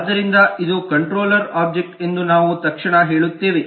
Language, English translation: Kannada, so we will immediately say that this is a controller object